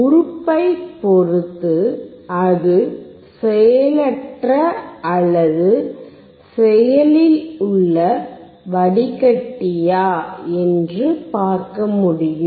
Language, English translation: Tamil, Depending on the element, it can be passive or active filter